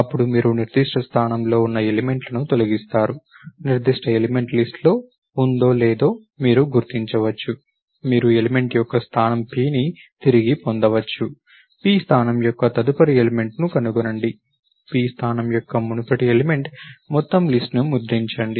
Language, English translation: Telugu, Then you delete elements in the particular position, you can locate whether particular element is in the list, you retrieve the element it the position p, find the next element of position p, previous element of position p, print the entire list